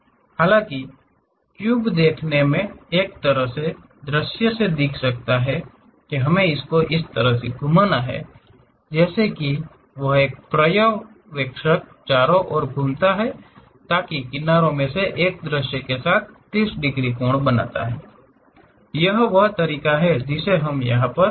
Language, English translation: Hindi, So, though the cube might looks like this in one of the view; we have to rotate in such a way that, as an observer moves around that, so that one of the edges it makes 30 degrees angle with the view, that is the way we have to visualize it